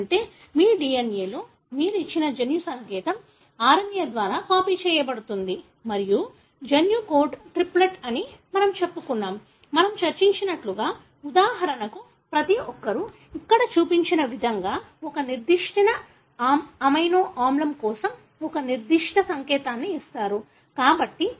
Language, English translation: Telugu, That is you have a genetic code given in your DNA that is being copied by the RNA and we said that the genetic code is a triplet; as we discussed that, for example each one giving a particular signal for a particular amino acid as shown here